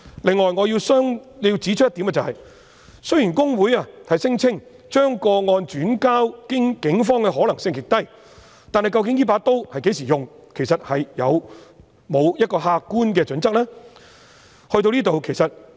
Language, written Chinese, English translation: Cantonese, 此外，我亦要指出一點，雖然公會聲稱將個案轉介警方的可能性極低，但究竟這把刀會在何時使用，有沒有客觀的準則？, Furthermore I have one more point to make . HKICPA claimed that it would be unlikely for it to refer to the Police a complaint but are there any objective criteria on when the referral will be made?